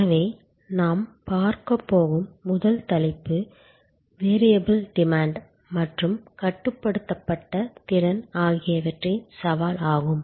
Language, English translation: Tamil, So, the first topic that we are going to look at is the challenge of variable demand and constrained capacity